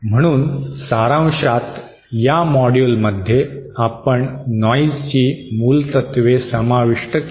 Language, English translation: Marathi, So in summary in this module, we covered basics of noise